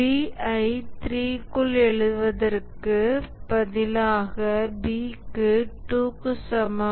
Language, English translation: Tamil, Instead of writing b into 3, written b is equal to b into 2